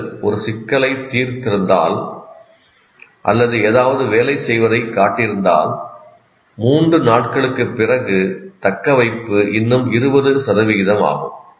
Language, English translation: Tamil, That is if you have solved a problem or if you have shown something working, but still after three days, the retention is only 20%